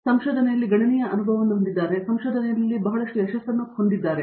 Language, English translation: Kannada, He has considerable experience in research and a lot of success in research